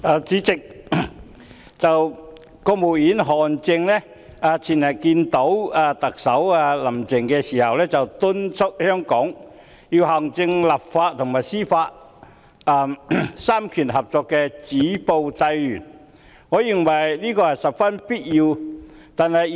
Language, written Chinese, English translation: Cantonese, 主席，國務院副總理韓正前天會見特首林鄭月娥時，敦促香港要行政、立法和司法三權合作止暴制亂，我認為這是十分必要的。, President in his meeting with Chief Executive Carrie LAM the day before yesterday Vice - Premier of the State Council HAN Zheng urged Hong Kong to stop violence and curb disorder through cooperation among the executive legislature and Judiciary . This I think is most essential